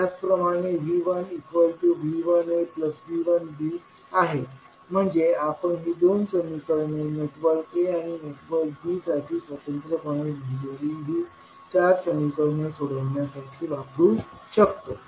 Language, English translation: Marathi, Similarly, V 1 can be written as V 1a plus V 1b so these two equations we can use to simplify these four equations which we wrote independently for network a and network b